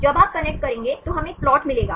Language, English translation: Hindi, When you connect then we will get a plot